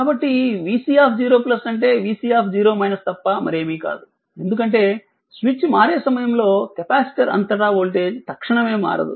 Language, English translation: Telugu, So, v c 0 plus is nothing but the v c 0 minus, because at the time of switching the voltage cannot be change instantaneously across the capacitor right